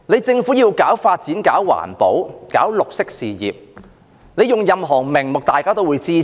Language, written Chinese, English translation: Cantonese, 政府以任何名目搞發展、搞環保、搞綠色事業，大家也會支持。, All of us will lend it our support if the Government takes forward development environmental protection and green causes under any pretexts